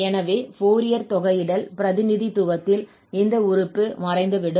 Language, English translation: Tamil, So, we have the Fourier integral representation of the function